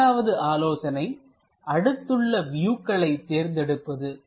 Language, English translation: Tamil, The second tip is select the adjacent view